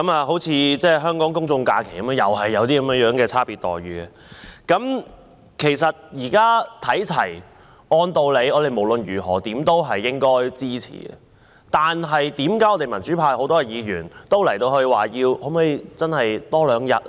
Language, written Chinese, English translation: Cantonese, 香港公眾假期同樣有這樣的差別待遇，現在要求看齊，按道理我們無論如何也應該支持，為何很多民主派議員都說可否增加多兩天呢？, This differential treatment is also found in the case of Hong Kongs public holidays . Now that they ask for a universal treatment we should support it . Why do so many Members of the pro - democracy camp ask for two more days of paternity leave?